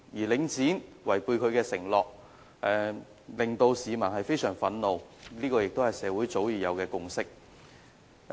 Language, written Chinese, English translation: Cantonese, 領展違背承諾，令市民相當憤怒，這亦是社會上早已有的共識。, That Link REIT has broken its promises is a consensus long since reached in the community and the public are angry about it